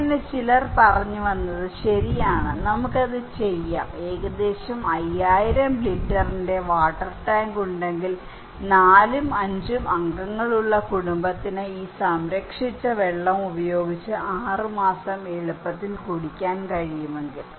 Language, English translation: Malayalam, So, some people came up with that okay, we can do it, if we have around 5000 litre water tank, then if 4 and 5 members family can easily run 6 months with this preserved water for drinking purpose, okay